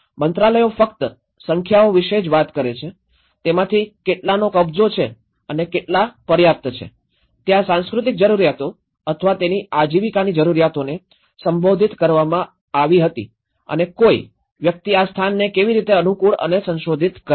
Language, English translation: Gujarati, The ministries only talk about the numbers, how many of them are occupied and how many are there adequately you know, addressed the cultural needs or their livelihood needs and how a person have adapted and modified it these places